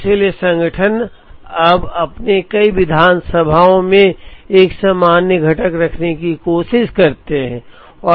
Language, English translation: Hindi, So, organizations now try to have a common component in several of their assemblies